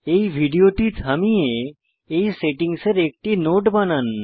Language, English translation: Bengali, Pause this video and make a note of these settings